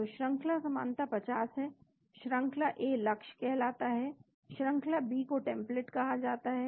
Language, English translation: Hindi, So, the sequence identity is 50, sequence A is called the target, sequence B is called the template